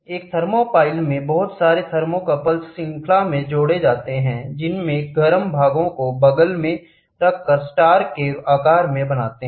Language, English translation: Hindi, A thermopile comprises a number of thermocouples connected in series wherein the hot junction are arranged side by side or in star formation